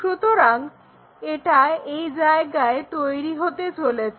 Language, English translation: Bengali, So, it is going to make it here